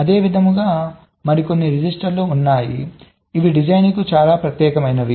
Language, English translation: Telugu, similarly, there is some registers which are very specific to designs